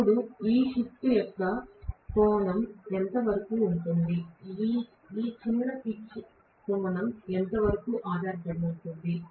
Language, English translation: Telugu, Now, how much ever is the angle of this shift depends upon how much is this short pitch angle